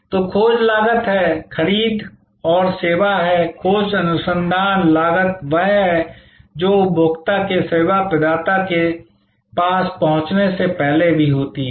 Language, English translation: Hindi, So, there is search cost, there is purchase and service, search research cost is that happens even before the consumer is approaching the service provider